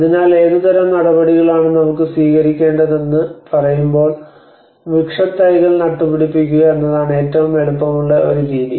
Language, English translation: Malayalam, So when we say about what kind of measures we can adopt so one easiest expensive method is planting the trees